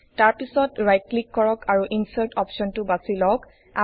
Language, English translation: Assamese, Then right click and choose the Insert option